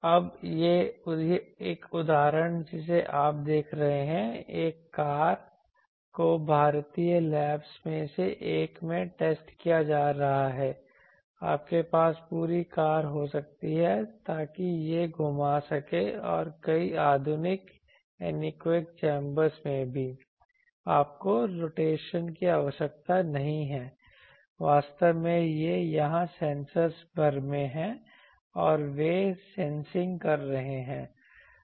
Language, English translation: Hindi, Now, this is an example you see a car getting tested, this is a in a one of the Indian labs you can have these that whole car so it can rotate also and also in many modern anechoic chambers you do not needed a rotation, actually the sensors are here throughout and they are sensing